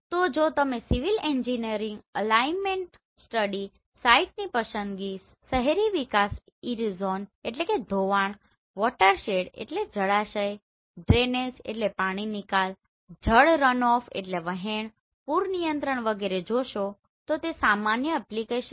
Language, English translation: Gujarati, So if you see civil engineering, alignment study, site selection, urban development, erosion, watershed, drainage, water runoff, flood control etcetera are common application